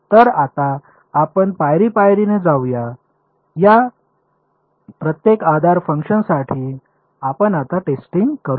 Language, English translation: Marathi, So, now, let us let us go step by step let us do testing now with respect to each of these basis functions ok